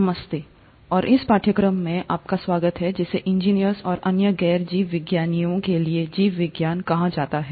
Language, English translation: Hindi, Hello and welcome to this course called “Biology for Engineers and other Non Biologists”